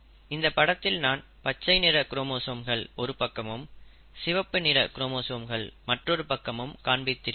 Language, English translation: Tamil, So right now, though I have shown in this slide, green chromosomes on this side and the red chromosomes on that side, it is not necessary